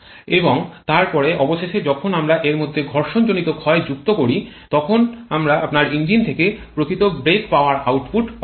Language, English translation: Bengali, And then finally when we add the frictional losses to that then we get the actual brake power output from your engine